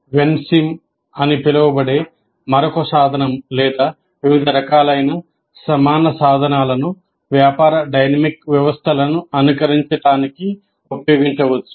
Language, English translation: Telugu, Then there is another tool called WENCIM are several equivalents of that is a tool for simulating business dynamic systems